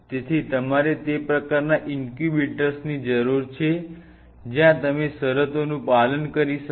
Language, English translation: Gujarati, So, you needed incubators of that kind where you can simulate those conditions